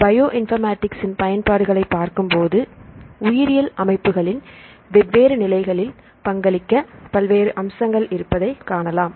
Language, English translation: Tamil, So, if we look into the applications of the Bioinformatics, you can see there are various aspects to contribute in different stages of these biological systems